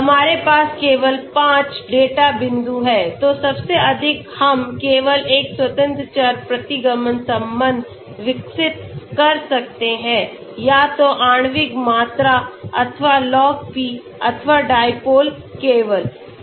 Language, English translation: Hindi, Now we have only 5 data points, so at the most we can develop only one independent variable regression relationship either with molecular volume or Log P or dipole only